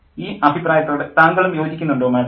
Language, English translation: Malayalam, So, do you agree with this opinion